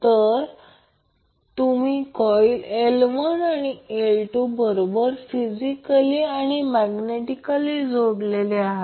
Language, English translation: Marathi, So if you see that coil L1 is connected to L2 physically as well as magnetically